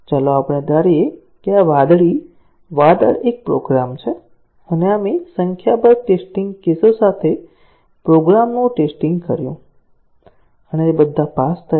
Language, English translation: Gujarati, Let us assume that, this blue cloud is a program and we tested the program with a number of test cases; and they all passed